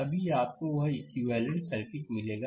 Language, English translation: Hindi, Then only you will get that equivalent circuit